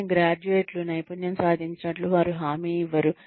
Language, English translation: Telugu, But, they are no guarantee that, graduates have mastered skills